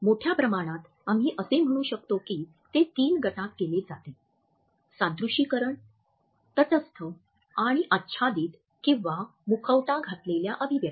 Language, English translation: Marathi, Largely we can say that they exist in three groups; simulated, neutralized and masked expressions